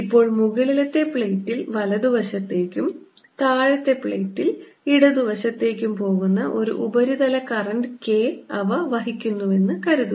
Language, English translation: Malayalam, the magnitude suppose now they also carry a surface current, k, going to the right side in the upper plate and to the left in the lower plate